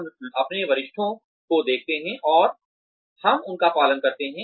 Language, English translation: Hindi, We see our seniors, and we observe them